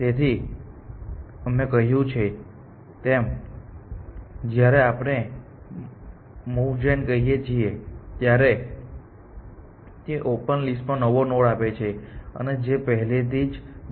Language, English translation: Gujarati, So, we had said, so, when we say moveGen it gives new nodes, it gives nodes on open and it gives nodes which are already on closed